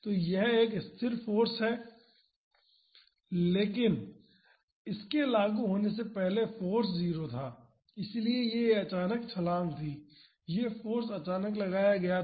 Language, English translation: Hindi, So, it is a constant force, but before it is application the force was 0 so, this was a sudden jump, it was suddenly applied force